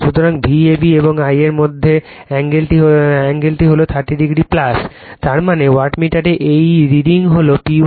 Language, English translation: Bengali, So, angle between V a b and I a is 30 degree plus theta right; that means, , this reading of the wattmeter is P 1